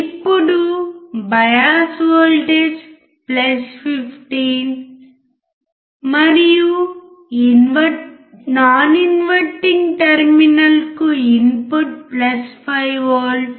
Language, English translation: Telugu, Now the bias voltage is +15 and input to the inverting terminal is +5V